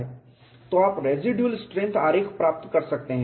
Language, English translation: Hindi, And you have to get a residual strength diagram